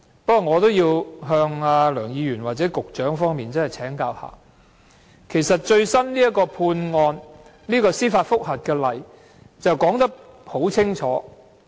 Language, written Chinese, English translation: Cantonese, 不過，我仍要向梁議員或局長請教，因為其實這個最新的司法覆核案例已說得很清楚。, Nonetheless I still have to consult Dr LEUNG or the Secretary because the case law of the most recent judicial review has offered a very clear explanation